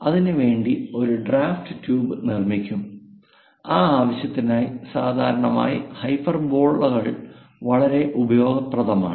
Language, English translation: Malayalam, So, a draft tube will be constructed, for that purpose, usually, hyperbolas are very useful